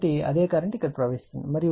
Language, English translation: Telugu, So, same current is flowing here